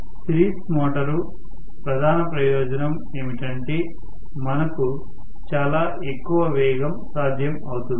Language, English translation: Telugu, Series motor the major advantage you will have extremely high speed possible